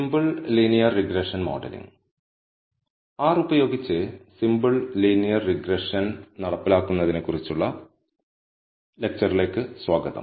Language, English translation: Malayalam, Welcome to the lecture on the implementation of simple linear regression using R In this lecture, we are going to see how to implement simple linear regression in R